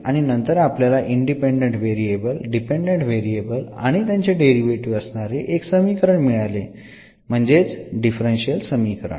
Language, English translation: Marathi, And then we will get a relation of the dependent variables independent variables and their derivatives which is the differential equation